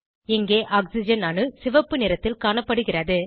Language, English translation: Tamil, Oxygen atom is seen in red color here